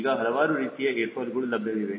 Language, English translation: Kannada, now there are different type of airfoils present